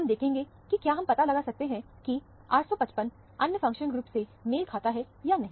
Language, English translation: Hindi, We will see whether we can find out, whether 855 corresponds to the other functional group